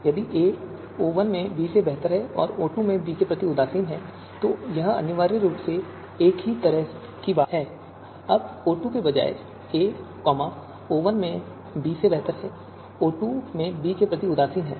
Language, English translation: Hindi, So this is going to happen if and only if b is better than a in O1 and in O2 or a is indifferent with respect to b in O1 but b is better than a in O2 or b is better than a in O1 and indifferent with respect to a in O2